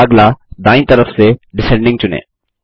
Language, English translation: Hindi, Next, from the right side, select Descending